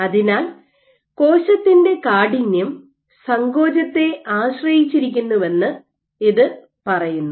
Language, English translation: Malayalam, So, this tells you that cell stiffness depends on contractibility